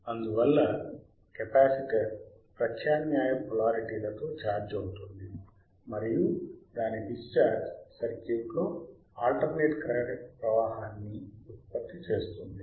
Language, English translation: Telugu, So, what will happen thusThus the capacitor charges withit alternate polarities and its discharge is producesing alternate current in theat circuit